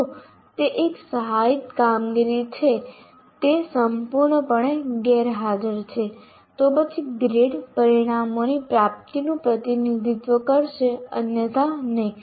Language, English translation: Gujarati, If it is 1, that means if assisted performance is totally absent, then the grades will represent the attainment of outcomes, not otherwise